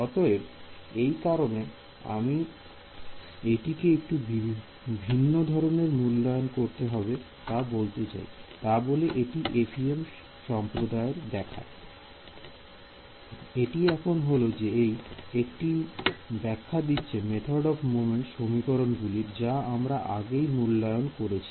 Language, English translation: Bengali, So, the reason I am giving a slightly different interpretation is because the FEM community it looks; it is like giving a interpretation to the method of moments equations which we had already derived